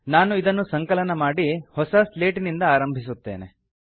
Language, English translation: Kannada, Ill compile this and start with a clean slate